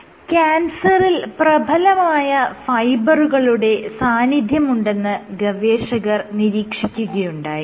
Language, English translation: Malayalam, So, what is observed is that there is strong fiber in cancer